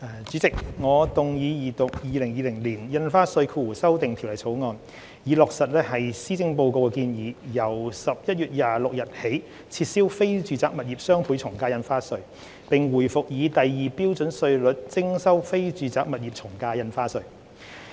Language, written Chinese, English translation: Cantonese, 主席，我動議二讀《2020年印花稅條例草案》，以落實施政報告的建議，由11月26日起撤銷非住宅物業雙倍從價印花稅，並回復以第二標準稅率徵收非住宅物業從價印花稅。, President I move the Second Reading of the Stamp Duty Amendment Bill 2020 the Bill which seeks to implement the proposal in the Policy Address to abolish the Doubled Ad Valorem Stamp Duty DSD on non - residential property transactions and revert the ad valorem stamp duty rates applicable to non - residential property transactions to the Scale 2 rates with effect from 26 November